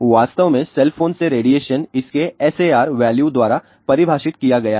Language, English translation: Hindi, In fact, the radiation from the cell phone is defined by it is SAR value